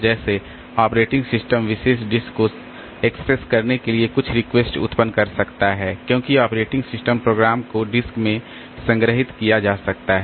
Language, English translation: Hindi, Like operating system can generate some requests to access particular disk because operating system programs may be stored in the disk so it has to access the disk